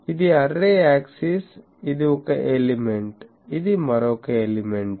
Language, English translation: Telugu, This is the array axis, this is one element, this is another element